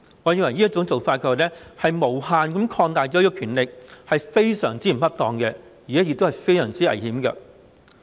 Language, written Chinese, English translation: Cantonese, 我認為這種做法是無限擴大這項權力，不僅非常不恰當，而且非常危險。, I think this approach will expand the power infinitely which is not merely extremely improper but extremely dangerous